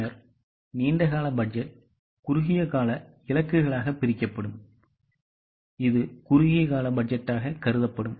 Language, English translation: Tamil, Then the long term budget will be divided into short term targets that will be considered as a short term budget